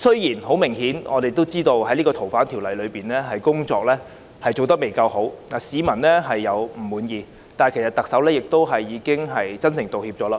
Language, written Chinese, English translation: Cantonese, 政府就《逃犯條例》的修訂工作明顯做得不夠好，令市民不滿，但特首已真誠道歉。, The Governments performance in the legislative amendment exercise of FOO is apparently not good enough thus giving rise to public discontent . But the Chief Executive has offered her sincere apology